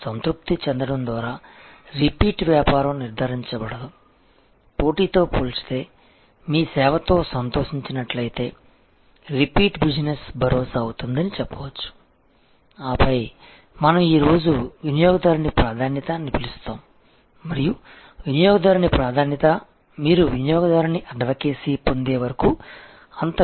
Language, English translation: Telugu, Repeat business is not ensure by customer just being satisfied, repeat business is ensured, if customer in comparison to competition is delighted with your service and then, you have what we call customer preference and today customer preference, until and unless you get customer advocacy is really of not that much value